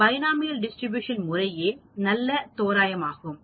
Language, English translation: Tamil, So, binomial distribution is a good approximation here